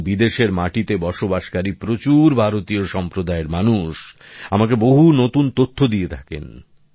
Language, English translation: Bengali, And there are people from our Indian community living abroad, who keep providing me with much new information